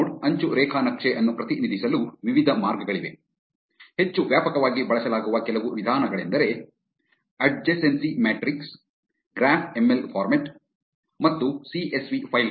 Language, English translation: Kannada, There are various ways to represent a node edge graph; some of the most widely used methods are adjacency matrix, graph ML format and CSV files